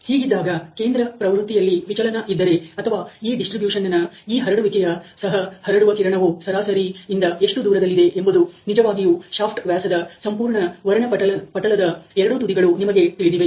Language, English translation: Kannada, So, if there is a deviation in the central tendency or even this spread of this distribution the spread beam how far away from the mean is really the, you know the two ends of the whole spectrum of the shaft diameters, then you need process control ok